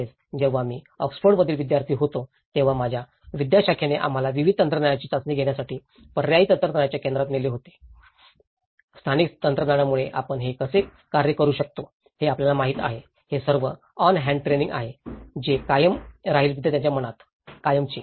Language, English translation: Marathi, Also, when I was a student in Oxford, my faculty have taken us to the centre for alternative technologies to test various technologies, the local technologies you know how we can make it work so, this is all the hands on training which will remain in the students mind forever